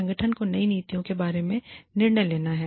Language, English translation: Hindi, The organization has to take a decision, regarding these policies